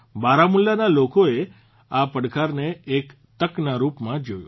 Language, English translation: Gujarati, The people of Baramulla took this challenge as an opportunity